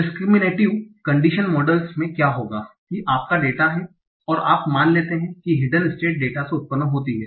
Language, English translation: Hindi, In the discriminative of condition models what will happen that your data is there and you assume that hidden state is generated from the data